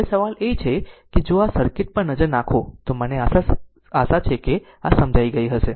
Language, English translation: Gujarati, Now question is that if you look into this circuit let me I hope you have understood this right